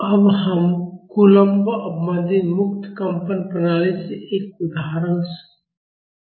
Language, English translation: Hindi, Now we will solve an example problem in coulomb damped free vibration system